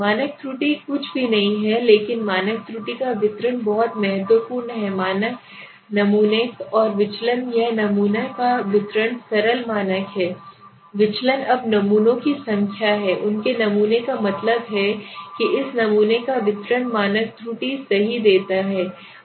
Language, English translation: Hindi, Standard error is nothing but is please this is very important standard error is the distribution of the standard samples and the deviation it is a distribution of the sample is the simple standard deviation now number of samples are there their sample means the distribution of this sample means gives me the standard error right